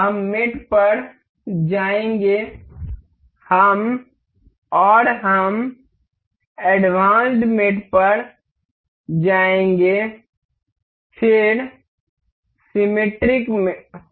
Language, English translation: Hindi, We will go to mate and we will go to advanced mate, then symmetric